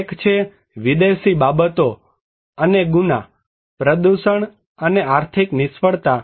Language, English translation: Gujarati, One is the Foreign Affairs, and the crime, pollution, and the economic failure